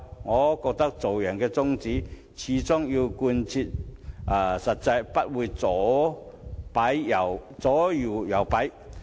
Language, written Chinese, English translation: Cantonese, 我覺得做人的宗旨必須貫徹始終，不應該左搖右擺。, In my opinion we should hold fast to our principles and refrain from being flip floppers